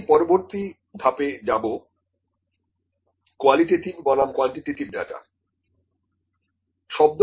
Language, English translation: Bengali, I will move to the next part qualitative versus quantitative data